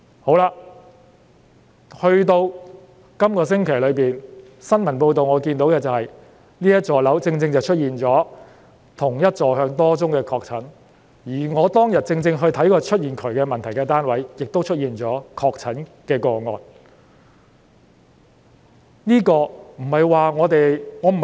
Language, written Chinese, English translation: Cantonese, 到了這星期，我從新聞報道得知，該幢大廈正正出現了多宗同一座向不同樓層的確診個案，而我當天發現喉管有問題的單位，亦出現確診個案。, This week as I learnt from the news report a number of confirmed cases have been reported from flats with the same orientation but on different floors and the flat in which I found problems with the pipes is also among them